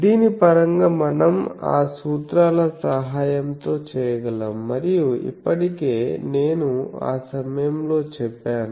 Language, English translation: Telugu, So, in terms of this we can with the help of those formulas and already I am that time said